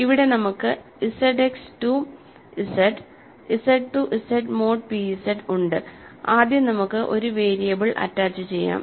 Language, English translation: Malayalam, So, here we have Z X to Z, Z to Z mod p Z first then we just attach a variable